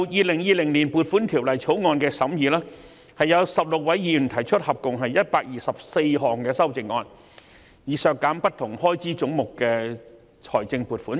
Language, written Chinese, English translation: Cantonese, 說回今年《條例草案》的審議工作，有16位議員提出合共124項修正案，以削減不同開支總目的財政撥款。, Coming back to the scrutiny of the Bill this year 16 Members have proposed a total of 124 amendments in a bid to reduce the financial provision for various heads of expenditure